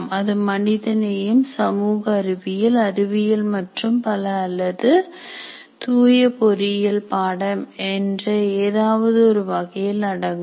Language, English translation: Tamil, It could belong to the category of humanity, social sciences, sciences and so on, or it could be pure engineering course